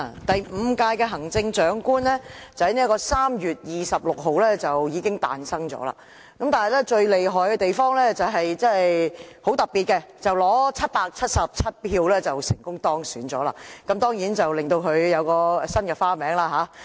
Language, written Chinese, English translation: Cantonese, 第五屆行政長官已經在3月26日產生，而最厲害亦很特別的地方是，她以777票成功當選，當然她因而有新的別名。, The fifth Chief Executive was elected on 26 March . It is most amazing and bizarre that she won the election with 777 votes . Thanks to this voting result she has got a new nickname